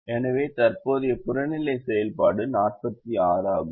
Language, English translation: Tamil, so the present objective function is forty six